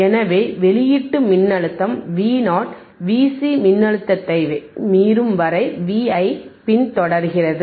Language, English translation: Tamil, hHence the output voltage v Vo follows V i until it is exceeds c V c voltage